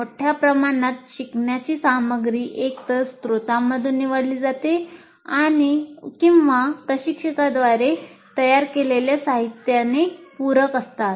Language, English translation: Marathi, So learning material either it is chosen from a source or supplemented by material prepared by the instructor